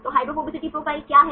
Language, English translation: Hindi, So, what is hydrophobicity profile